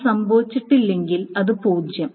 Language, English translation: Malayalam, If it doesn't occur, it is zero